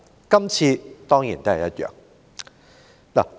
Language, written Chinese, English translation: Cantonese, 今次當然也不例外。, This time will certainly be no different